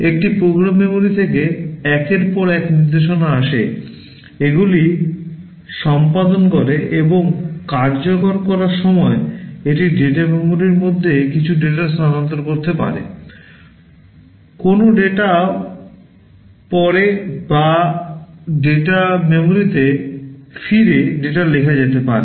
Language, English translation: Bengali, It fetches instructions from the program memory one by one, executes them, and during execution it may require to transfer some data between the data memory, either reading a data or writing the data back into the data memory